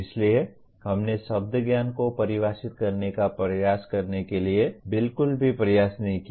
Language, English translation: Hindi, So we did not make any attempt at all to try to define the word knowledge